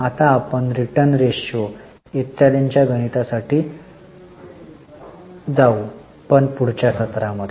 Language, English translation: Marathi, Now we will also go for calculation of return ratios etc but in the next session